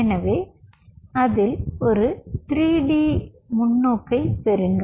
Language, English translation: Tamil, so get a three d perspective into it